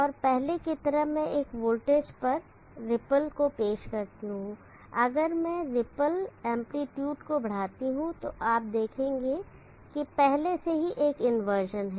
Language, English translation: Hindi, And as before I will introduce the ripple on a voltage and if I extent the ripple amplitude you will see that there is an inversion already